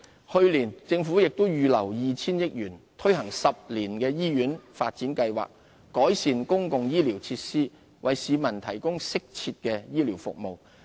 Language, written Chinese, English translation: Cantonese, 去年，政府也預留了 2,000 億元推行10年醫院發展計劃，改善公共醫療設施，為市民提供適切的醫療服務。, Last year the Government also set aside 200 billion for the implementation of a ten - year hospital development plan to improve public health care facilities and services